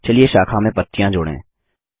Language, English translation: Hindi, Let us add leaves to the branch